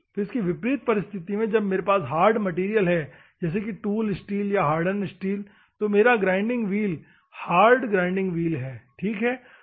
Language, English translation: Hindi, In the reverse case, if I have a hard material assume that tools steel or hardened steel is there, I have a grinding wheel hard grinding wheel, ok